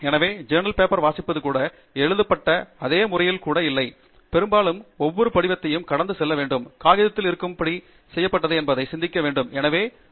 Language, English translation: Tamil, So, even the reading of paper is not in the same sequence as it is written, and very often, actually, we now need to also think whether we should go through every single detail that is there in that paper to be able to conform that they are up to something good that I can build up on